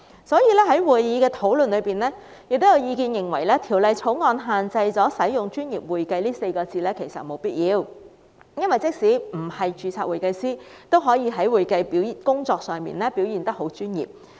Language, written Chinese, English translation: Cantonese, 所以，法案委員會進行討論時，亦有意見認為《條例草案》沒有必要限制使用"專業會計"這稱謂，因為即使不是註冊會計師，也可以在會計工作上表現得很專業。, During the discussions at the Bills Committee members opined that there was no need to restrict the use of the description professional accounting because people who are not certified public accountants can also perform accounting duties professionally